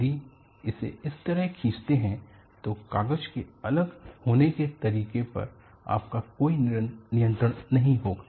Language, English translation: Hindi, If you pull it like this, you will have absolutely no control on the way separation of the paper will happen